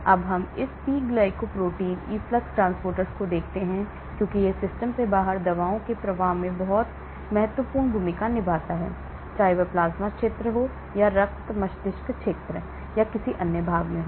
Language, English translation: Hindi, Now, let us look at this P glycoprotein efflux transporter because it plays a very important role in effluxing drugs out of the system whether it is in the plasma region or whether it is in the blood brain region or any other part